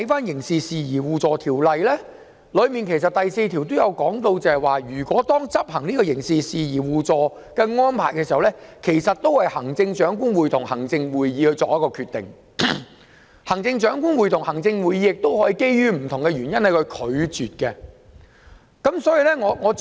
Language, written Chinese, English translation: Cantonese, 然而，《條例》第4條其實提到，執行刑事事宜相互法律協助安排時，須由行政長官會同行政會議批准，行政長官會同行政會議亦可基於不同原因拒絕批准。, However under section 4 of the Ordinance the execution of arrangements for mutual legal assistance in criminal matters actually requires the approval of the Chief Executive in Council who may refuse for various reasons